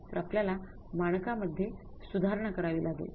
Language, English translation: Marathi, We have to revise the standards